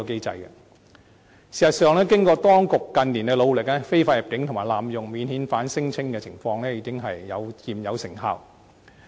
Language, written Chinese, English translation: Cantonese, 事實上，經過當局近年作出的努力，非法入境及濫用免遣返聲請的情況已初見成效。, In fact due to the efforts made by the authorities in recent years the situations of illegal entry and abusing the unified screening mechanism for non - refoulement claims have started to show some improvement